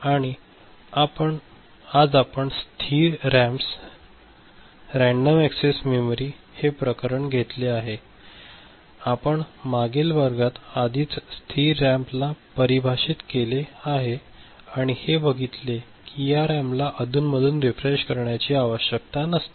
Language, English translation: Marathi, And what we have taken up is called static RAMs, Random Access Memory you have already seen static we have already defined in the last class that static RAM is the one where the periodic refreshing is not required